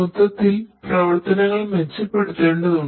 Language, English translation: Malayalam, So, overall we want to improve the operations